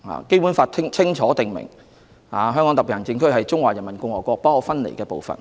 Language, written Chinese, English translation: Cantonese, 《基本法》清楚訂明，香港特別行政區是中華人民共和國不可分離的部分。, The Basic Law clearly provides that the HKSAR is an inalienable part of the Peoples Republic of China